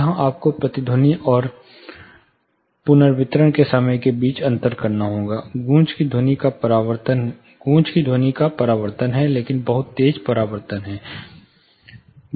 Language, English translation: Hindi, Here you have to differentiate between echo and reverberation time, echo is also reflection of sound, but very sharp reflection